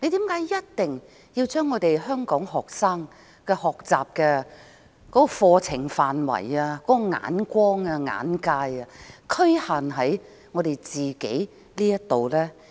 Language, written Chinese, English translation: Cantonese, 為何一定要將香港學生的課程範圍、眼光、眼界局限於香港？, Why should the curriculum visions and perspectives of students in Hong Kong be limited to Hong Kong only?